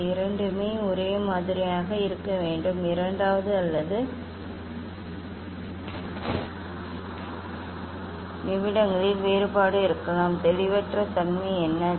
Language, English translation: Tamil, It this both has to be same approximately same, there may be difference in second or in minutes what is the ambiguity